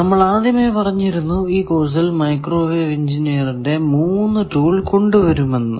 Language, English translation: Malayalam, We have said that, we will introduce 3 main tools of microwave engineers in this course